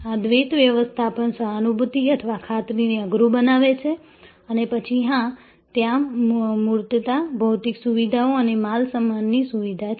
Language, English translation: Gujarati, This duality management makes whether empathy or assurance rather tough call and then of course,, there are tangibles, physical facilities and facilitating goods